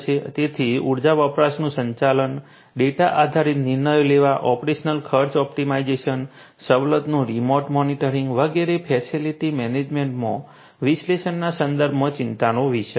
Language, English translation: Gujarati, So, managing the energy consumption, making data driven decision decisions, operational cost optimization, remote monitoring of facilities, etcetera these are of concerns with respect to analytics in facility management